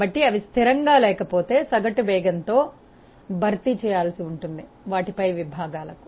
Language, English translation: Telugu, So, if they are not constant these have to be replaced by the average velocities over the sections